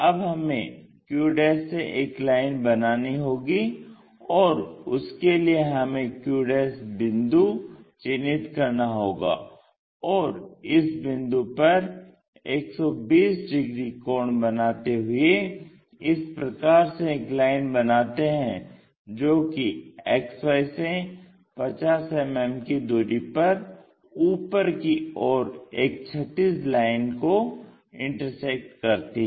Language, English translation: Hindi, We have to draw a line from point q', so we have located q' point and a 120 degrees line we will draw it in that way, and this meets horizontal line at 50 mm above XY